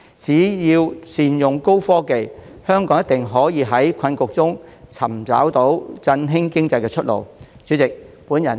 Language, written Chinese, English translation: Cantonese, 只要善用高新科技，香港一定可以在困局中找到振興經濟的出路。, As long as we make good use of high and new technologies we will definitely find a way to get out from the predicament and boost the Hong Kong economy